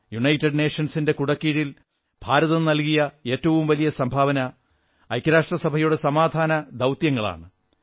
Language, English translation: Malayalam, India's most important contribution under the UN umbrella is its role in UN Peacekeeping Operations